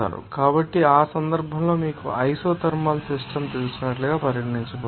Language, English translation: Telugu, So, in that case it will be regarded as you know isothermal system